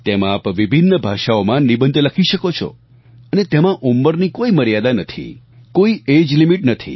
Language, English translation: Gujarati, You can write essays in various languages and there is no age limit